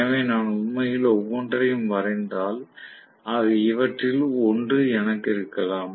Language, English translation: Tamil, So, if I actually plot each of them I may have actually one of them